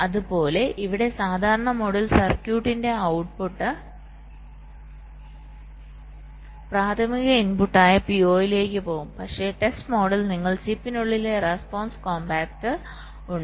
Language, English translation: Malayalam, ok, similarly here, in the normal mode the output of the circuit will go to the p o, the primary inputs, but during the test mode you have something called a response compactor inside the chip